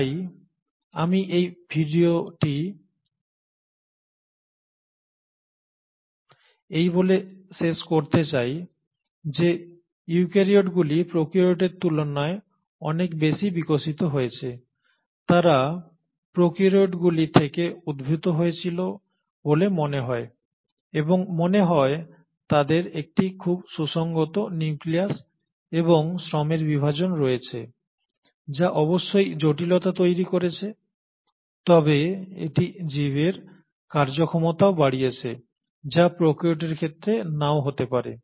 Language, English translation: Bengali, So I would like to end this video by saying, eukaryotes have been far more evolved than the prokaryotes, they seem to have come out of prokaryotes and they seem to have a very well defined nucleus and a very good division of labour, which provides complexity for sure, but it also enhances the efficiency of the organism which may not have been in case of prokaryotes